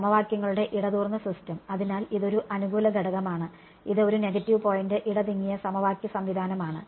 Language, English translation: Malayalam, Dense system of equations right; so, this is a plus point and this is a negative point dense system of equations right